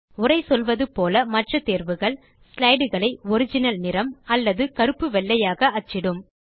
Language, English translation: Tamil, As the text describes, the other options will print the slide in its original colour or in black and white